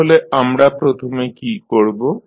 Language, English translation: Bengali, So, first thing what we have to do